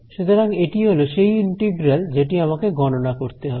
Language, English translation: Bengali, So, this is the integral that I want to calculate